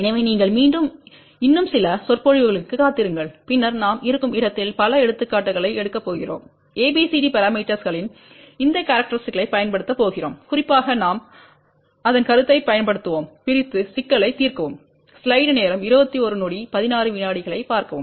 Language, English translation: Tamil, So, you have to wait for few more lectures, and then we are going to take several examples where we are going to use these properties of ABCD parameters and specially we will use the concept of divide and solve the problem